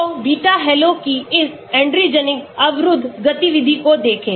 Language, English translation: Hindi, So, look at this Adrenergic blocking activity of beta halo